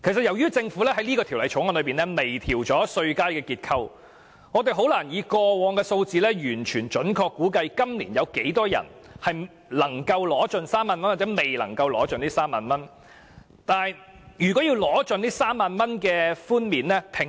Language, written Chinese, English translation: Cantonese, 由於政府在《條例草案》中就稅階結構作出微調，所以我們很難根據過往的數字，準確估計今年有多少人能夠盡享該3萬元的稅務寬減。, Since the Government has fine - tuned the structure of the tax bands in the Bill it is very difficult for us to accurately predict the number of people who can fully enjoy the tax concessions of 30,000 this year using the past statistics